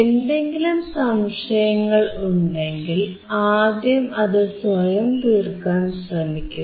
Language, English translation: Malayalam, If you have any questions, first try to find it out yourself